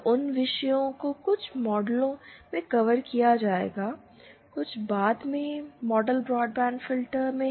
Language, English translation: Hindi, So, those topics will be covered in the in some models, in some later models broadband filters